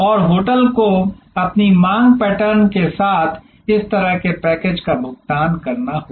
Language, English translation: Hindi, And the hotel will have to pay this kind of package with their demand pattern